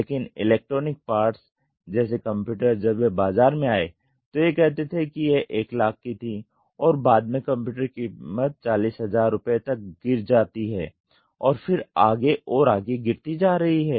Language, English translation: Hindi, So, there are cars, but electronic parts when they came into the market they say it is 1 lakh then subsequently the computer price slashes down to 40000 and then so on and so forth